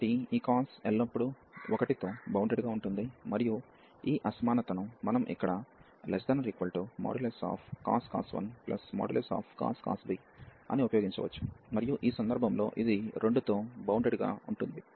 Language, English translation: Telugu, So, this cos is bounded by 1 always, and we can use this inequality here that this is less than cos 1 plus cos b, and in that case this will b bounded by 2